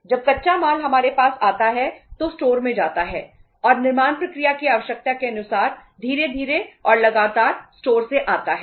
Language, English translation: Hindi, When the raw material comes to us that goes to the store and from the store slowly and steadily as per the requirement of manufacturing process